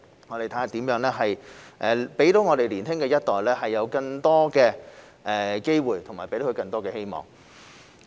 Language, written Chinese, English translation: Cantonese, 我們會看看如何讓年輕一代有更多機會和希望。, We will see how we can give the younger generation more opportunities and hope